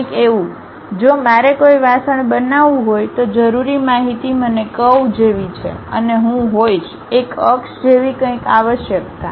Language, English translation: Gujarati, Something like, if I want to make a pot, the essential information what I require is something like a curve and I might be requiring something like an axis